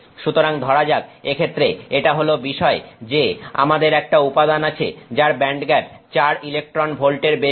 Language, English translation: Bengali, So, let's just assume that this is the case that we have a material that is a band gap that is greater than 4 electron volts